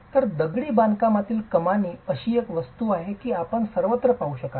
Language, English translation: Marathi, So, masonry arches is something that you would see everywhere